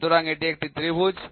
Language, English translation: Bengali, So, this is a triangle